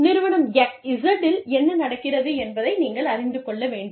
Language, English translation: Tamil, You will need to know, what is happening in Firm Z